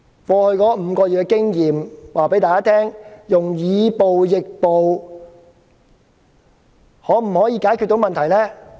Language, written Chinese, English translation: Cantonese, 過去5個月的經驗告訴我們，以暴易暴可否解決問題呢？, Can the problems be solved by answering violence with violence according the experience of the past five months?